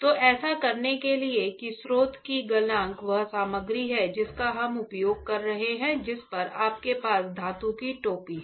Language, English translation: Hindi, So, to do that what you have understood that the melting point of the source the material that we are using on which you have the metal cap right